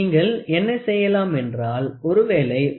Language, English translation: Tamil, So, what you can do suppose you have 23